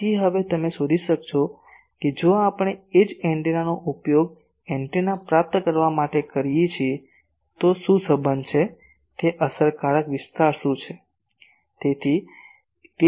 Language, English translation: Gujarati, So, you can now find if we the same antenna we use as receiving antenna, what is the relation what will be it is effective area